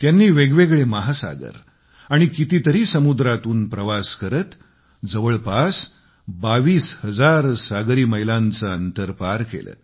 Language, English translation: Marathi, They traversed a multitude of oceans, many a sea, over a distance of almost twenty two thousand nautical miles